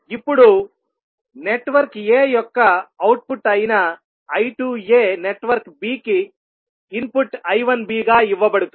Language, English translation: Telugu, Now the I 2a which is output of network a will be given as input which is I 1b to the network b